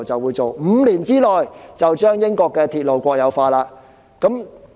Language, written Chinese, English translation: Cantonese, 結果 ，5 年之內，他們便將英國的鐵路國有化。, As a result in five years they had completed the nationalization of the railways in the United Kingdom